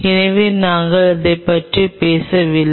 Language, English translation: Tamil, So, we are not talking about it